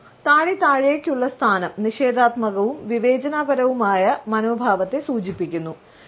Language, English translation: Malayalam, The head and chin down position signals a negative and judgmental attitude